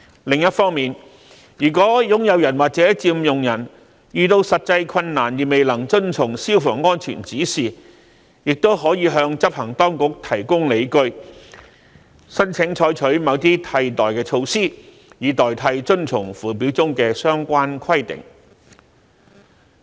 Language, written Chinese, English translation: Cantonese, 另一方面，如果擁有人或佔用人遇到實際困難而未能遵從消防安全指示，亦可以向執行當局提供理據，申請採取某些替代措施，以代替遵從附表中的相關規定。, On the other hand if an owner or occupier encounters practical difficulties in complying with a fire safety direction the owner or occupier may apply with justifications to the enforcement authorities for taking certain alternative measures in place of the requirements concerned in the Schedules